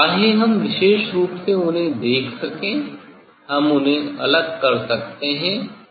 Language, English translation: Hindi, whether specially we can see them, we can separate them or not